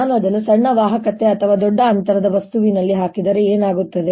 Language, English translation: Kannada, what happens if i put it in a material of smaller conductivity or larger distance